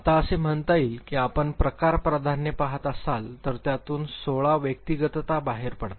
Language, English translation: Marathi, Now, it says that if you are looking at type preferences and the 16 personality types it comes out of it